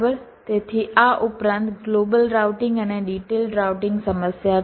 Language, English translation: Gujarati, so, addition to this, there are global routing and detailed routing problem